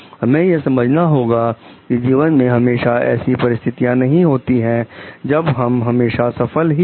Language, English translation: Hindi, See we have to understand like there cannot be situations always in life where we are successful